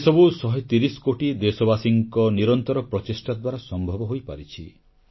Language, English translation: Odia, And all this has been possible due to the relentless efforts of a 130 crore countrymen